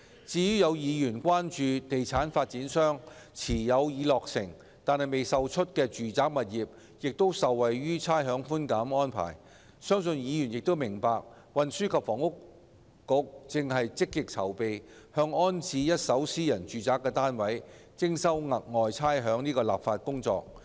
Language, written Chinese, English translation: Cantonese, 至於有議員關注到，地產發展商所持有的已落成但未售出的住宅物業亦受惠於差餉寬減安排，我相信議員亦明白，運輸及房屋局正積極籌備向空置一手私人住宅單位徵收"額外差餉"的立法工作。, Regarding the concern of some Members that completed but unsold residential properties held by property developers will also be benefited under the rates concession arrangement I believe Members know that the Transport and Housing Bureau is now proactively preparing to legislate for the introduction of special rates on vacant first - hand private residential units